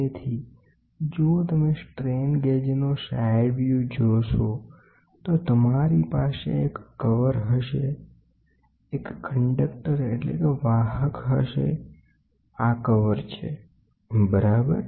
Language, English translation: Gujarati, So, if you see the side view of the strain gauge you will have a cover you will have a carrier, this is the cover, ok